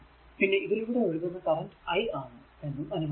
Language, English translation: Malayalam, And suppose current is flowing through this is i, right